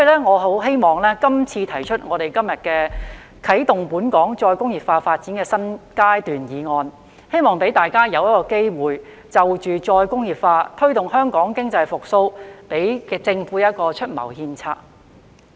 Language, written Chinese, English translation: Cantonese, 我很希望今天"啟動本港再工業化發展的新階段"議案，可以讓大家有機會就再工業化及推動香港經濟復蘇，向政府出謀獻策。, I very much hope that the motion on Commencing a new phase in Hong Kongs development of re - industrialization today will give Honourable colleagues an opportunity to offer advice and strategies to the Government on re - industrialization and promotion of Hong Kongs economic recovery